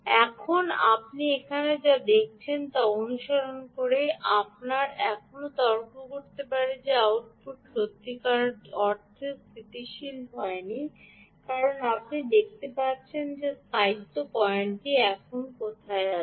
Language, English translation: Bengali, what you have seen here, i we can still argue that the output has not really stabilized, because you can see that the stability point has come somewhere here